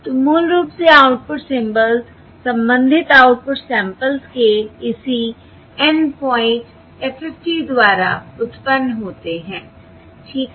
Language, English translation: Hindi, So basically, the output symbols are generated by the corresponding N point FFT of the output samples